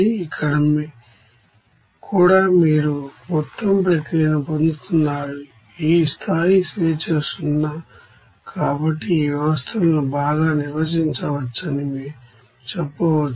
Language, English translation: Telugu, Here also you are getting that overall process this degree of freedom is 0, so we can say that these systems can be you know well defined well specified